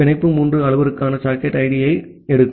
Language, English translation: Tamil, And the bind takes three parameters the socket id